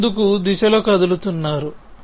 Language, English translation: Telugu, So, you have moving in the forward direction